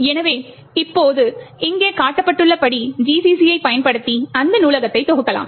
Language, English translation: Tamil, So, now you can compile this library by using GCC as shown over here